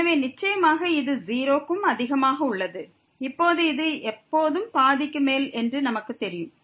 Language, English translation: Tamil, So, certainly this is greater than 0 and also now because we know that this is always greater than half